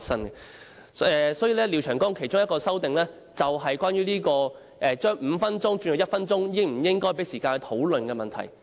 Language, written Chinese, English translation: Cantonese, 廖長江議員提出的其中一項修訂，便是關於將表決鐘由5分鐘縮短為1分鐘時，應否給予時間讓議員討論的問題。, One of the amendments proposed by Mr Martin LIAO is about whether the question on the motion to shorten the ringing of the division bell from five minutes to one minute shall be put without debate by Members